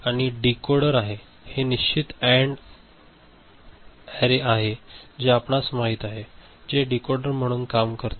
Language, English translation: Marathi, And this is the decoder, this is the fixed AND array which is you know, acting as a decoder alright